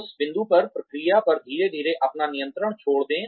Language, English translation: Hindi, At that point, slowly give up your control, over the process